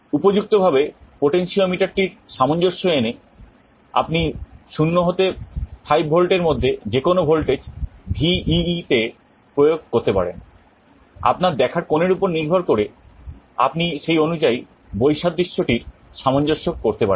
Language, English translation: Bengali, By suitably adjusting the potentiometer, you can apply any voltage between 0 and 5V to VEE and depending on your viewing angle, you can adjust the contrast accordingly